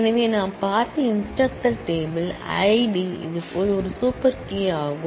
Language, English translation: Tamil, So, the instructor table that we have seen, I D is a super key similarly